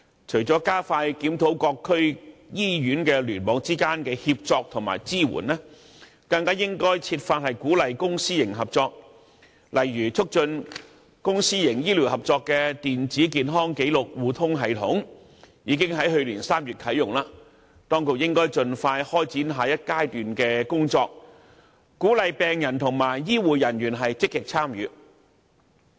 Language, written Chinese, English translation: Cantonese, 除了加快檢討各區醫院聯網之間的協作和支援，更應設法鼓勵公私營合作，例如促進公私營醫療合作的電子健康紀錄互通系統，已於去年3月啟用，當局應該盡快開展下一階段的工作，鼓勵病人和醫護人員積極參與。, In addition to an expedited review of the collaboration and support between various hospital clusters the public - private partnership programme should also be encouraged . For example the Administration should take forward quickly the next stage of work of the public - private partnered Electronic Patient Record sharing system launched in March last year and encourage active participation by patients and healthcare professionals